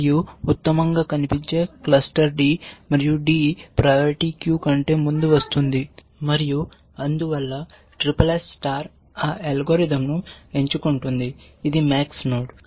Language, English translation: Telugu, And the best looking cluster is d, and d comes to ahead of the priority queue and so, SSS star picks that algorithm, it is a max node